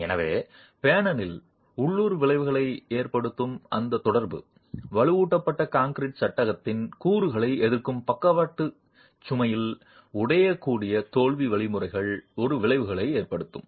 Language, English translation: Tamil, So, that interaction causing local effects in the panel can have a repercussion on brittle failure mechanisms in the lateral load resisting elements of the reinforced concrete frame itself